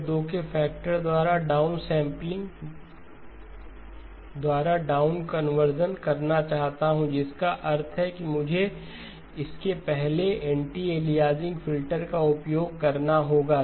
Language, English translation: Hindi, I want to do down conversion by a down sampling by a factor of 2 which means I must precede it with an anti aliasing filter